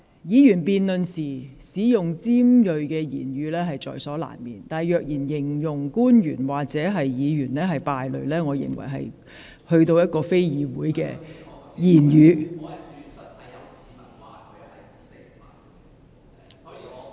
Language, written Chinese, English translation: Cantonese, 議員辯論時難免言詞尖銳，但若以"敗類"來形容官員或議員，我認為實非議會中應使用的言詞。, It is inevitable for Members to use sharp rhetoric in debates . That said I do not consider describing an official or a Member as scum to be parliamentary language indeed